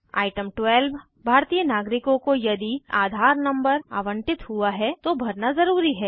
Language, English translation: Hindi, Item 12 Citizens of India, must enter their AADHAAR number, if allotted